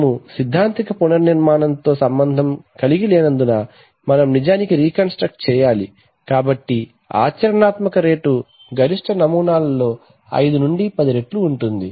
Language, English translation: Telugu, But since we are not concerned with theoretical reconstruction we have to actually reconstructed, so therefore a practical rate would be 5 to 10 times of the maximum samples